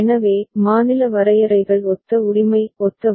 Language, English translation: Tamil, So, state definitions are similar right, similar